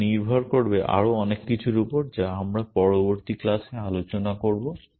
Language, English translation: Bengali, It will depend on so many other things which we will address in the next class